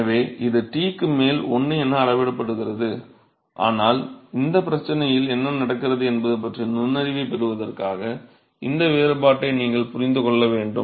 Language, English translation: Tamil, So, it scales as 1 over T so you must understand this difference it scale as 1 over T, but just for sake of getting insight as to what is happening in this problem